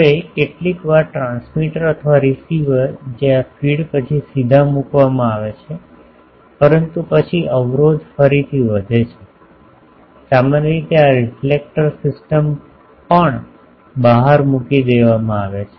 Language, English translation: Gujarati, Now, sometimes the transmitter or receiver that is directly put after this feed, but then the blockage again increases also generally these reflector system are put in the outside